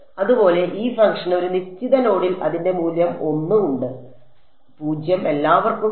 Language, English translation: Malayalam, Similarly this function has its value 1 at a certain node, 0 everyone else ok